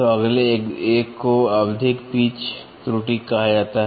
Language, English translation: Hindi, So, next one is called as periodic pitch error